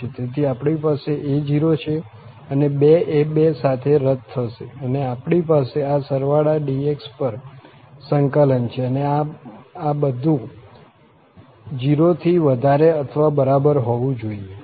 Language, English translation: Gujarati, So, we have a naught and by 2 will be cancelled with the 2 and we have the integral over this summation dx and this everything has to be greater than equal to 0